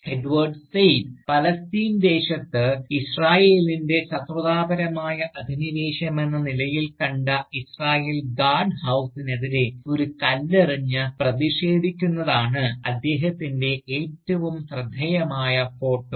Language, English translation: Malayalam, Indeed, one of the more remarkable photograph, that we have of Edward Said, shows him, throwing a stone, at an Israeli Guardhouse, to protest, what he saw, as Israel's Hostile occupation of Palestinian Land